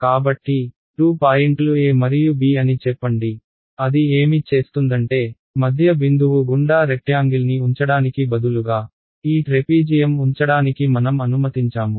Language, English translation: Telugu, So, this is let us say the 2 points a and b what does it do is say is instead of putting a rectangle through the midpoint, I let me put trapezium that covers this right